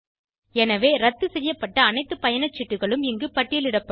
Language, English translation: Tamil, So all the canceled ticket will be listed here